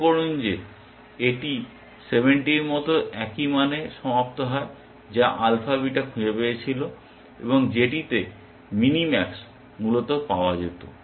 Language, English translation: Bengali, Notice, it terminates with the same value of 70 which the alpha beta found and which is of mini max would have found essentially